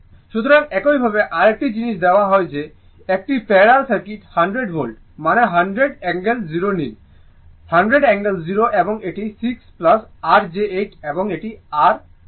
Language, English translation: Bengali, So, similarly another thing is given this a parallel circuit 100 Volt means, you take 100 angle 0, hundred angle 0 and it is 6 plus your j 8 and this is your 4 minus j , j 3 right